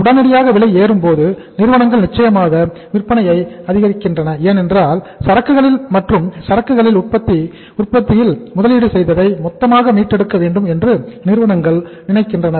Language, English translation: Tamil, If there is a sudden jump in the prices then certainly firms will increase the sales because they would like to recover the total investment they have made in the say inventory or in the manufacturing of the goods